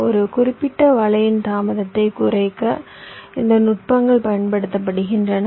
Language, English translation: Tamil, this techniques are used to reduce the delay of a particular net